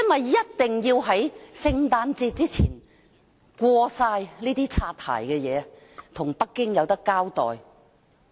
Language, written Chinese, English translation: Cantonese, 他一定要在聖誕節前全部通過這些"擦鞋"修訂，以向北京交代。, He must get all these apple - polishing amendments passed before Christmas so as to be accountable to Beijing